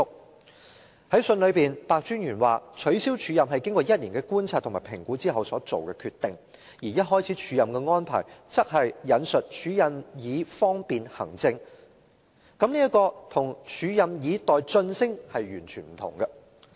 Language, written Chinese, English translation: Cantonese, 白專員在信中表示，取消署任是經過1年的觀察和評估之後所作的決定，而一開始署任的安排則是署任以方便行政，這與署任以待晉升完全不同。, In the letter Mr PEH says that the decision to cancel the acting appointment was made after a one - year observation and assessment and the purpose of the acting appointment was for administrative convenience which is different from an acting appointment with a view to promotion